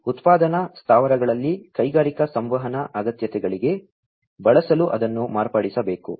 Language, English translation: Kannada, So, it has to be modified in order to be used for the industrial communication requirements in manufacturing plants